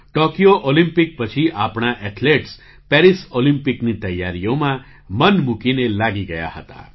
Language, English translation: Gujarati, Right after the Tokyo Olympics, our athletes were whole heartedly engaged in the preparations for the Paris Olympics